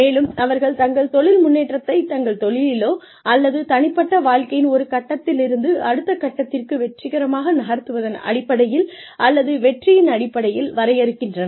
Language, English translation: Tamil, And, they define their career progression, in terms of, or, success in terms of, being able to move from, one stage of their professional or personal lives, to the next, as success